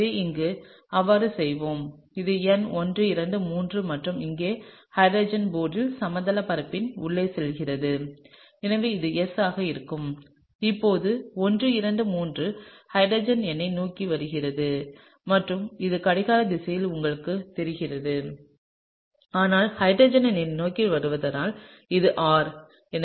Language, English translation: Tamil, So, here let’s do that so, this is number 1 2 3 and here the hydrogen is going inside the plane of the board and so, this would be S and here this is 1 2 3, the hydrogen is coming towards me, and so, this would be you know anti clockwise, but since hydrogen is coming towards me, this would be R, okay